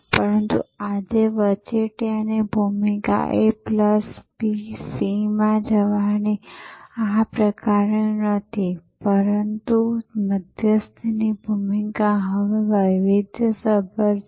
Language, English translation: Gujarati, But, today the role of the intermediary is not this kind of a plus b, going to c, but the role of the intermediary is now more varied